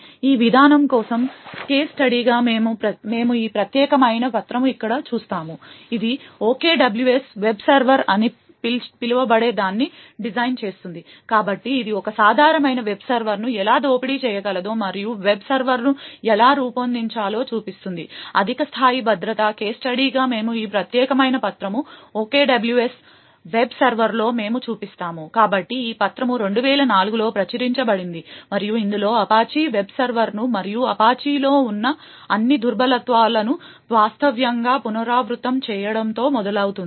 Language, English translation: Telugu, As a case study for this approach we would look at this particular paper over here which designs something known as the OKWS web server, so it shows how a typical web server can be exploited and how a web server can be then designed so as to get higher levels of security, as a case study we would look at this particular paper on the OKWS web server, so this paper was published in 2004 and it starts off with actually redoing the Apache web server and all the vulnerabilities that were present in the Apache web server in 2004 and it also provides a design for a better approach for designing a web server